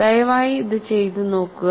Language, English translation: Malayalam, So, please work it out